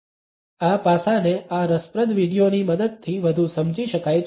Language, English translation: Gujarati, This aspect can be further understood with the help of this interesting video